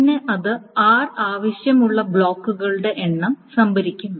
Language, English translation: Malayalam, Then the number of blocks that are required